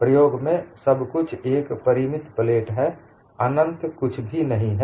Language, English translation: Hindi, In practice, everything is a finite plate; nothing is infinite